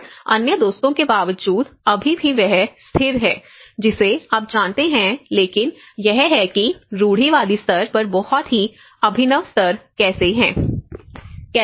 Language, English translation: Hindi, And despite of other friends still he is being stable you know but this is how the very innovative level to a conservative level